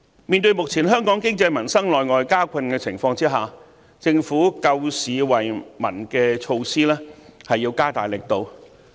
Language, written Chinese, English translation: Cantonese, 面對目前香港經濟民生內外交困的情況，政府救市惠民的措施要加大力度。, As our local economy and peoples livelihood are deeply plagued by both internal and external problems the Government must strengthen its market rescue and relief measures